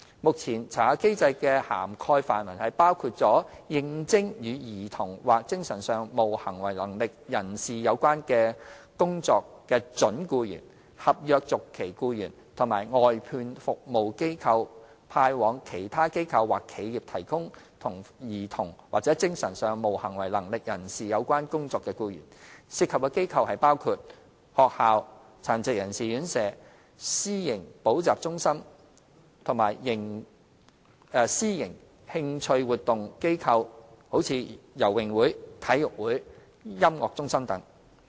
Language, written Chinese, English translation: Cantonese, 目前，查核機制的涵蓋範圍包括應徵與兒童或精神上無行為能力人士有關工作的準僱員、合約續期僱員及由外判服務機構派往其他機構或企業提供與兒童或精神上無行為能力人士有關工作的僱員，涉及的機構包括學校、殘疾人士院舍、私營補習中心及私營興趣活動機構如游泳會、體育會、音樂中心等。, Currently the SCRC Scheme covers prospective employees and contract renewal staff applying to organizations or enterprises for work relating to children or MIPs as well as staff assigned by outsourced service providers to other organizations or enterprises to undertake work relating to children or MIPs . These organizations include schools residential care homes for disabled persons private tutorial centres and private interestactivity institutions such as swimming clubs sports associations and music centres